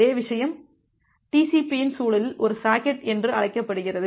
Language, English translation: Tamil, The same thing is a termed as a socket in the context of the TCP